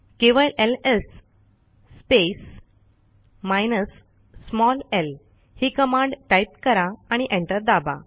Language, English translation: Marathi, Just type the command ls space minus small l and press enter